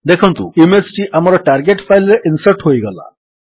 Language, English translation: Odia, We see that the image is inserted into our target file